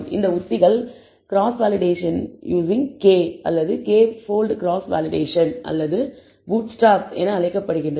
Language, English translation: Tamil, So, these strategies or what are called cross validation using a k fold cross validation or a bootstrap